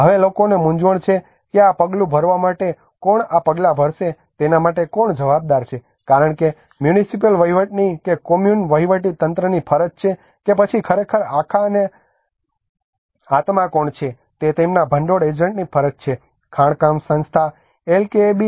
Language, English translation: Gujarati, Now the people has a confusion who is going to take the move who is responsible for the move because whether it is a duty of the municipal administration or Kommun administration or it is a duty of the their funding agent to who are actually the whole and soul mining institution LKAB